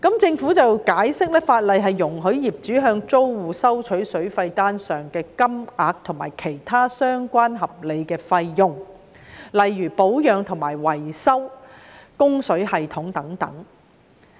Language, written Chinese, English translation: Cantonese, 政府解釋，法例容許業主向租戶收取水費單上的金額，以及其他相關合理的費用，例如保養和維修供水系統等。, The Government has explained that under the law owners are allowed to charge their tenants other reasonable expenses on top of the amounts listed on the water bills such as those for the repairing and maintenance of the water supply system